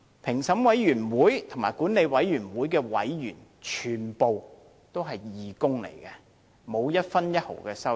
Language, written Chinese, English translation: Cantonese, 評審委員會和管理委員會的委員全部都是義工，並沒有分毫收入。, All the members of the Vetting Committee and the Management Committee are volunteers without any remuneration